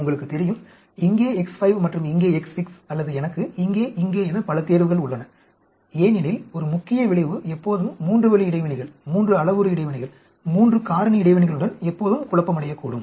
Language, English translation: Tamil, You know X 5 here and X 6 here, or I have so many choices here, here because a main effect can be always confounded with three way interactions, 3 parameter interactions, 3 factor interaction